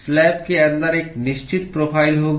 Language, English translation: Hindi, There will be a certain profile inside the slab